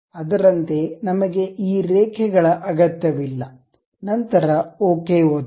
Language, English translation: Kannada, Similarly, we do not really require these lines, then click ok